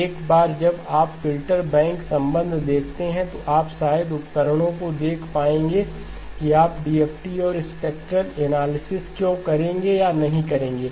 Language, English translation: Hindi, Once you see the filter bank relationship, you will probably be able to see the reasons, why you would either do a DFT and a spectral analysis or not to do that